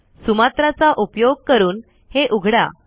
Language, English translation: Marathi, Open it using Sumatra